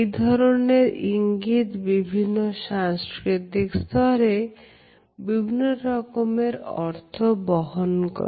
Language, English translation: Bengali, Even though, this gesture has different interpretations in different cultures